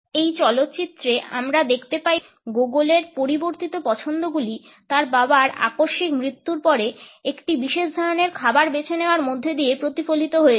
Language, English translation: Bengali, In this movie we find that Gogol’s changing preferences are reflected in his opting for a particular type of a food after the sudden death of his father